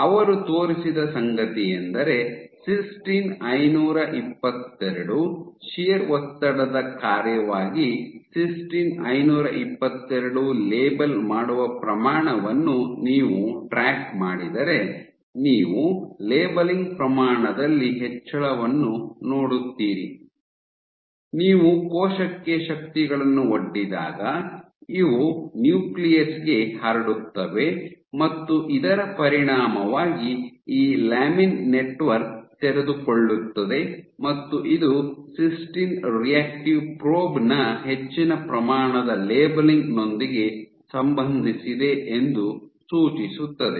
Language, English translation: Kannada, So, what they have shown is if you track the labeling of cysteine 522, the amount of labeling of cysteine 522 as a function of shear stress, you would see an increase in the amount of labeling, suggesting that as you expose forces on to the cell these get transmitted to the nucleus and as a consequence of this there is unfolding of this lamin network, and that is associated with increased amount of labeling of cysteine reactive probe ok